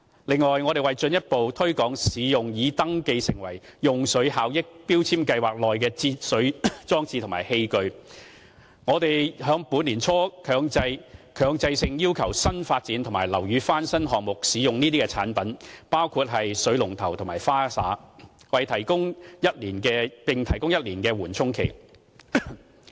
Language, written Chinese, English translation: Cantonese, 此外，為進一步推廣使用於"用水效益標籤計劃"內登記的節水裝置和器具，我們在本年年初強制性要求新發展及樓宇翻新項目，使用該等產品，包括水龍頭及花灑，並提供1年的緩衝期。, In addition to further promote the use of water - saving devices and water efficient appliances registered in the Water Efficiency Labelling Scheme we set a mandatory requirement early this year that newly developed projects as well as building renovation projects must use these products including water taps and showers and we provide a buffer period of 12 months